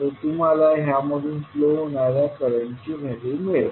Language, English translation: Marathi, You will get the value of current flowing in this